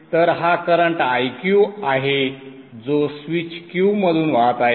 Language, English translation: Marathi, So what is the current through the switch IQ